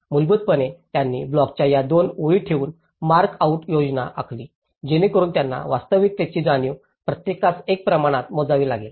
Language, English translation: Marathi, So basically, they made a mark out plan with keeping this two lines of the block so that they get a real space understanding with one is to one scale